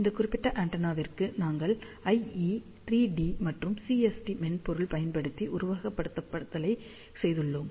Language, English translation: Tamil, So, for this particular antenna, we have done simulation using IE3D as well as CST software